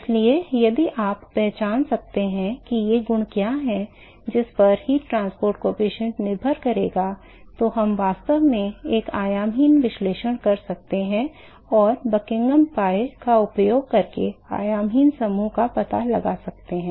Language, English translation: Hindi, So, if you can identify what these properties are, on which the heat transport coefficient is going to depend upon, we could actually do a dimension less analysis and find out what is the dimension less group by using the Buckingham pi